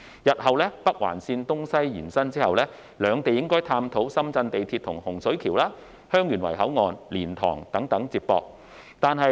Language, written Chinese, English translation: Cantonese, 日後，北環綫東西延伸後，兩地應探討深圳地鐵系統可如何接駁至洪水橋、香園圍口岸、蓮塘等。, After the Northern Link is extended eastwards and westwards in the future the authorities of the two places should explore how the Shenzhen metro system can be linked with Hung Shui Kiu Heung Yuen Wai Boundary Control Point Liantang etc